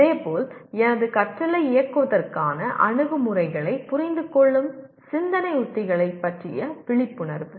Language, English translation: Tamil, Similarly, awareness of thinking strategies that is understanding approaches to directing my learning